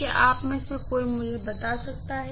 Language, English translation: Hindi, Can any one of you tell me